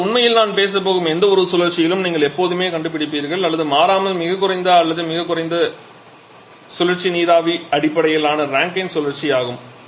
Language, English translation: Tamil, Or actually in any kind of cycle that I am going to talk about in always you will find or invariably the lowest or the bottom most cycle is a steam based Rankine cycle